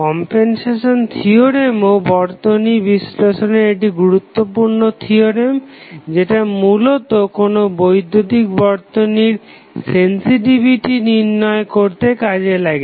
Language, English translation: Bengali, Compensation theorem is also 1 of the important theorems in the network analysis, which finds its application mostly in calculating the sensitivity of the electrical circuit